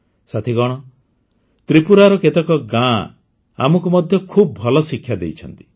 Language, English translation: Odia, Friends, some villages of Tripura have also set very good examples